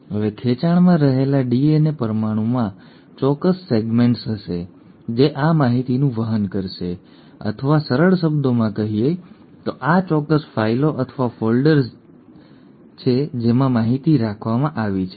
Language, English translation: Gujarati, Now the DNA molecule in a stretch will have specific segments which will carry this information or in simple terms these are like specific files or folders in which the information is kept